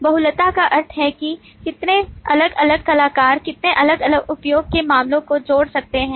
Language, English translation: Hindi, The multiplicity means that how many different actors can associate with how many different use cases